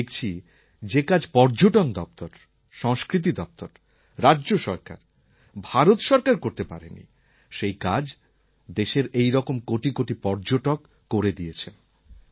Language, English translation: Bengali, And I have noticed that the kind of work which our Department of Tourism, our Department of Culture, State Governments and the Government of India can't do, that kind of work has been accomplished by millions and millions of Indian tourists